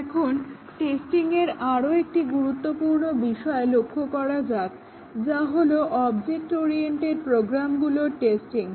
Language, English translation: Bengali, Now, let us look at another important topic in testing which is testing object oriented programs